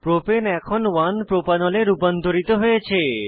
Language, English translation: Bengali, Propane is now converted to 1 Propanol